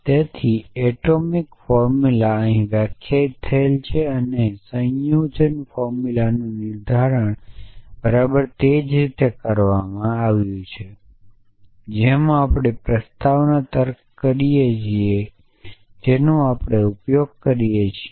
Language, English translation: Gujarati, atomic formula is define here and the of compound formula is define exactly like we do in proposition logic that we use